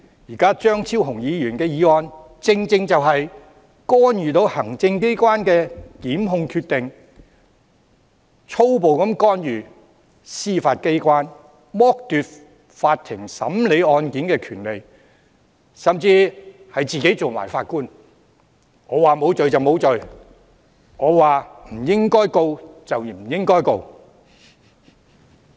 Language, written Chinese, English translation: Cantonese, 現在張超雄議員的議案正正就是干預行政機關的檢控決定，粗暴地干預司法機關，剝奪法庭審理案件的權利，甚至自行充當法官——他說無罪便無罪，他說不應控告便不應控告。, Now Dr Fernando CHEUNGs motion is precisely an attempt to intervene in a prosecution decision of the Administration boorishly interfere with the judicial authorities strip the Court of the right to hearing cases even set himself up as a judge―one who can determine who is innocent and has the final say on whom to prosecute or not